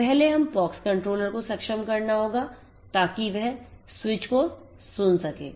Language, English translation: Hindi, So, first we have to enable the POX controller so, that it can listen to the switches